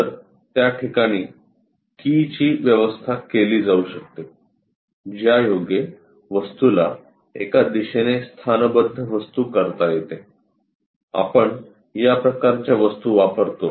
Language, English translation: Marathi, So, that keys can be arranged in that to lock the objects in one directional thing, we use this kind of objects